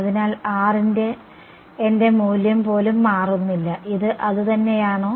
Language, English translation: Malayalam, So, even my value of R does not change is this the same right